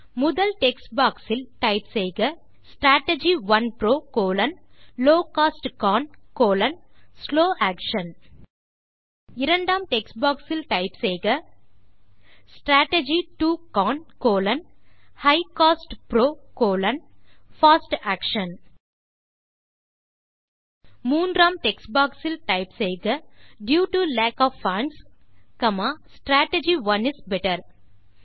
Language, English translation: Tamil, In the first text box type: Strategy 1 PRO: Low cost CON: slow action In the second text box type: Strategy 2 CON: High cost PRO: Fast Action In the third text box type: Due to lack of funds, Strategy 1 is better